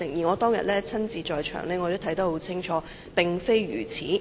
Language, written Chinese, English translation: Cantonese, 我當天也在場看得一清二楚，事實並非如此。, I saw everything clearly as I was on the scene at that time and that was not the case